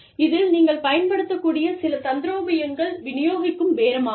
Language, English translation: Tamil, Some tactics, that you can use are, distributive bargaining